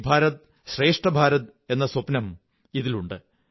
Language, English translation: Malayalam, The dream of "Ek Bharat Shreshtha Bharat" is inherent in this